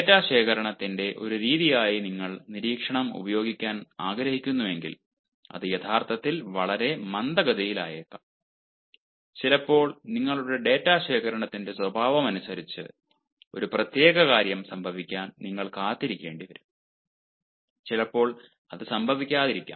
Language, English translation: Malayalam, observation is very fast, but if you want to use observation as method of data collection, it may actually be very slow and sometimes, depending upon the nature of your data collection, you have to wait for a particular thing to happen and maybe that doesnt happen